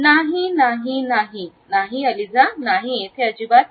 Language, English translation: Marathi, No no no no Eliza no here at all